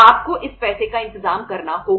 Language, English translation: Hindi, You have to arrange this money